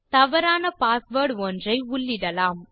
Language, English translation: Tamil, Let us enter a wrong password here